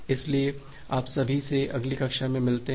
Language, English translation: Hindi, So, see you all in the next class